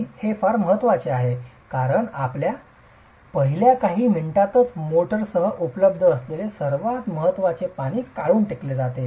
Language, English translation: Marathi, And this is very important because it's in the first few minutes that the most most important water that is available with the motor is taken away